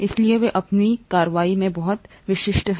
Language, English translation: Hindi, So they are very specific in their action